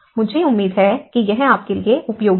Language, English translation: Hindi, I hope this is helpful for you